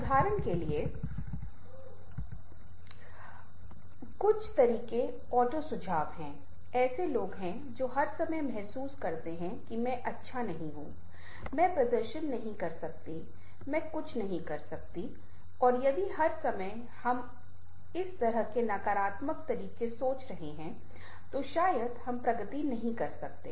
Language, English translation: Hindi, for example, there are people who feel all the time that i am not good, i am, i cannot perform, i cannot do, and if all the time we are thinking this kind of negative ways, perhaps we cannot make progress